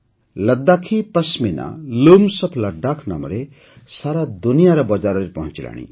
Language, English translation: Odia, Ladakhi Pashmina is reaching the markets around the world under the name of 'Looms of Ladakh'